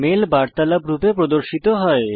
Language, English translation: Bengali, The mails are displayed as a conversation